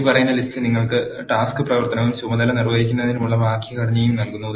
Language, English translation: Malayalam, The following table gives you the task action and the syntax for doing the task